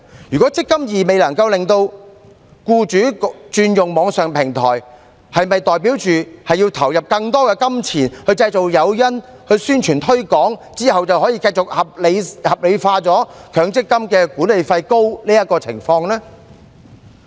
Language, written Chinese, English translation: Cantonese, 如果"積金易"能令僱主轉用網上平台，是否代表要投入更多金錢製造誘因和宣傳推廣，之後便可以繼續合理化強積金計劃管理費高昂的情況呢？, If eMPF platform can make employers switch to the online platform does it mean that more money has to be spent in creating incentives and in propaganda and promotion and thus the exorbitant management fee of MPF schemes can continue to be justified afterwards?